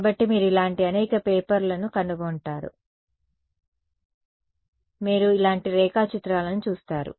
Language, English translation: Telugu, So, you will find something like this many papers you will see diagrams like this right